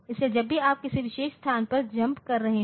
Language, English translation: Hindi, So, whenever you are jumping on to a particular location